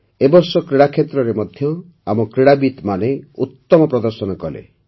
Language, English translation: Odia, This year our athletes also performed marvellously in sports